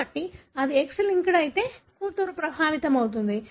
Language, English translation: Telugu, So therefore, the daughter will be affected if it is X linked